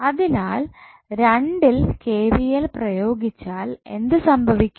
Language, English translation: Malayalam, So, for loop 2 if you apply KVL what will happen